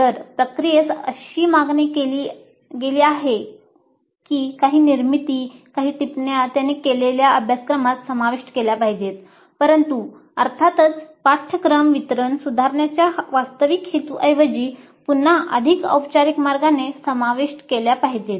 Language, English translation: Marathi, If the process demands that certain constructions, certain comments be included in the course file, they might do it but again in a more formal way rather than with any real intent at improving the course delivery